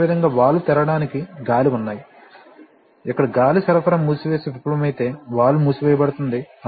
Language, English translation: Telugu, Similarly, there are air to open valves, where if the air supply close and fails then the valve will close